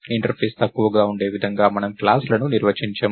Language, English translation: Telugu, So, we define classes in such a way that an interface is minimal